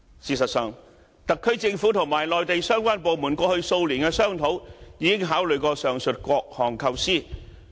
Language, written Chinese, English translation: Cantonese, 事實上，特區政府與內地相關部門過去數年的商討，已經考慮過上述各項構思。, As a matter of fact in the course of discussion between the SAR Government and the Mainland authorities concerned over the past few years the above alternatives have all been considered